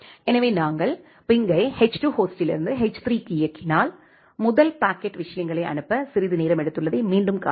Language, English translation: Tamil, So, if we run the ping from h2 host to h3, again you can see that the first packet has took some longer time to forward the things